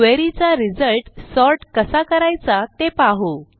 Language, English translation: Marathi, First let us see how we can sort the results of a query